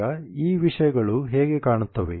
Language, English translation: Kannada, Now how do these things look like